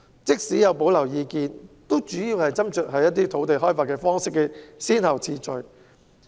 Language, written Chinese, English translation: Cantonese, 即使有保留意見，主要的斟酌點也只是土地開發的先後次序。, Even though some people have reservations their main concern is the priority of land development